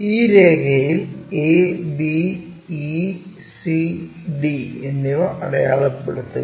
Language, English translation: Malayalam, Mark this points a, b, e, c and d on this line